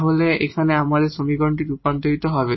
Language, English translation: Bengali, So, we have this equation here